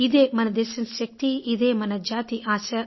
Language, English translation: Telugu, This is the power of the nation